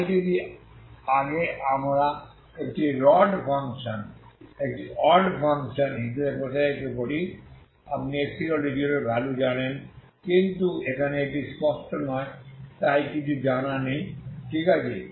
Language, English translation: Bengali, So earlier then you extend it you know that if we extend as an odd function you know the value at x equal to 0 but here it is not clear so nothing is known, okay